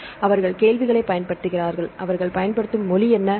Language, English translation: Tamil, So, they use the query and what is the language they use